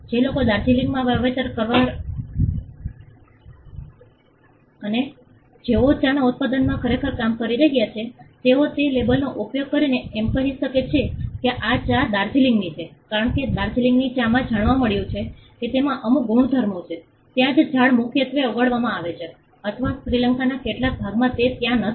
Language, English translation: Gujarati, The people who are having plantations in Darjeeling and who are actually in the manufacturing and production of the tea they can use that label to say that this tea is from Darjeeling, because the Darjeeling tea it has been found out that has certain properties which is not there for tree that is grown in core or in some part of Sri Lanka it is not there